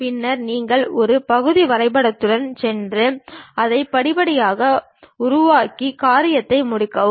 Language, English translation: Tamil, Then, you go with part drawing construct it step by step and finish the thing